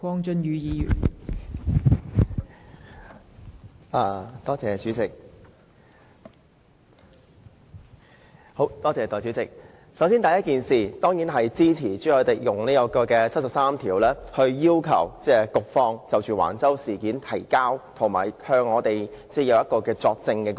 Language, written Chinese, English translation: Cantonese, 代理主席，首先，我當然支持朱凱廸議員根據《基本法》第七十三條，要求局方就橫洲事件提交文件及作證。, Deputy President first of all I certainly support Mr CHU Hoi - dicks motion moved under Article 73 of the Basic Law to request the Director of Bureau to provide documents and to testify on the Wang Chau incident . Actually we are all deeply impressed by the incident